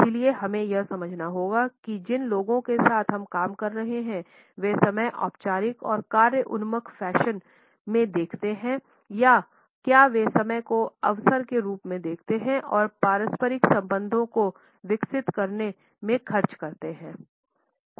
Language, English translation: Hindi, So, we have to understand whether the people with whom we work, look at time in a formal and task oriented fashion or do they look at time as an opportunity to a spend time and develop interpersonal relationships